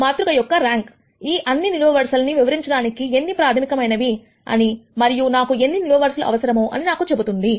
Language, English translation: Telugu, The rank of the matrix will tell me, how many are fundamental to explaining all of these columns, and how many columns do I need